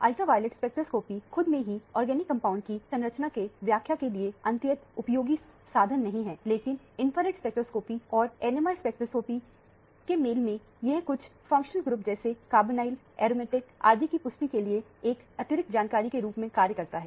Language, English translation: Hindi, Ultraviolet spectroscopy by itself is not an extremely useful tool for structural elucidation of organic compounds, but in combination with infrared spectroscopy and NMR spectroscopy, it serves as additional information for confirming certain functional groups like carbonyl, aromatic and so on